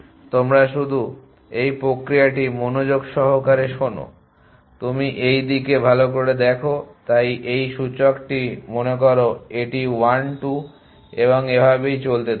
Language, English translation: Bengali, You just listen carefully to this process you look at position, so think of this index this is 1 2 and so on as both